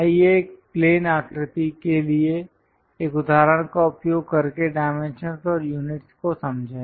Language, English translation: Hindi, Let us understand dimensions and units using an example for a plane figure